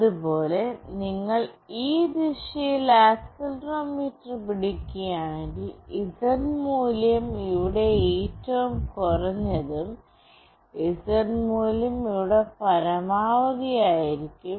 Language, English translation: Malayalam, Similarly, if you hold the accelerometer in this direction, then the Z value will be minimum here, and the Z value will be maximum here